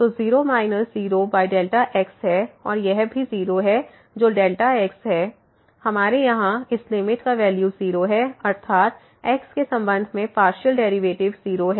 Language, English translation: Hindi, So, 0 minus 0 over delta and this is 0 whatever delta ’s so, we have here the value of this limit is 0; that means, the partial derivative with respect to is 0